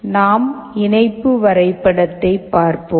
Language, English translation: Tamil, Let us look at the connection diagram